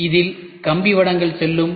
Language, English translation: Tamil, So, you will have cables running by